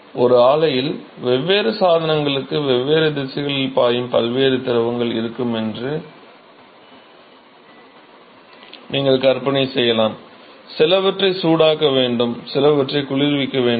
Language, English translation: Tamil, You can imagine that in a plant, there will be many different fluid which is actually flowing in different directions to different equipment, some have to be heated some have to be cooled